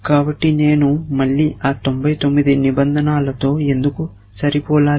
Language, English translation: Telugu, So, why should I match those other 99 rules again